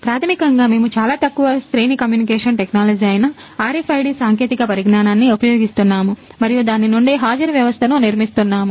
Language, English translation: Telugu, So, basically we are using RFID technology that is very short range communication technology and then building attendance system out of it